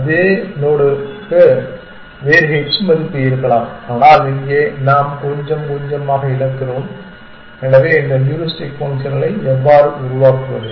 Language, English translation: Tamil, The same node may have a different h value, but we are sort of losing over that here little bit essentially, so how do we how do we generate these heuristic functions